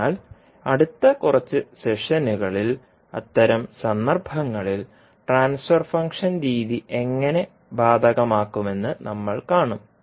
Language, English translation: Malayalam, So, we will see in next few sessions that the, how will apply transfer function method in those cases